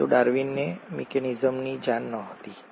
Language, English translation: Gujarati, But, Darwin did not know the mechanism